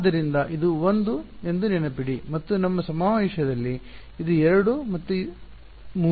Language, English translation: Kannada, So, remember this was 1 and in our convention this was 2 and 3 ok